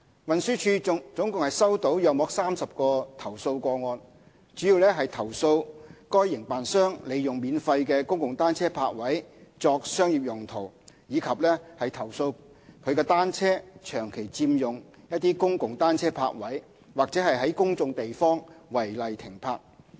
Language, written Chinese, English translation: Cantonese, 運輸署共收到約30個投訴個案，主要投訴該營辦商利用免費的公共單車泊位作商業用途，以及投訴其單車長期佔用公共單車泊位或在公眾地方違例停泊。, TD has received some 30 complaints mainly about the concerned operator using free public bicycle parking spaces for commercial use as well as its bicycles occupying public bicycle parking spaces for extended periods of time or being parked legally in public places